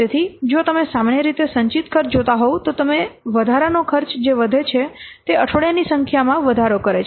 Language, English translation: Gujarati, So, if you will see the cumulative cost normally the cumulative cost slowly what it increases or the number of weeks increases